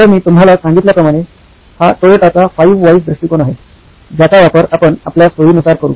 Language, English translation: Marathi, So like I said this is based on Toyota’s 5 Whys approach, we will use it for our own convenience